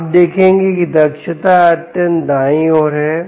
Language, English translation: Hindi, you find the efficiency has dropped